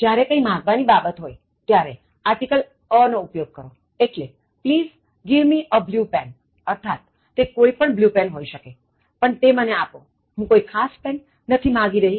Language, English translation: Gujarati, When any is coming in the sense of asking something, use the article a, so please give me a blue pen, so it means, like, it can be any blue pen, but give me one and I am not specifying any particular blue pen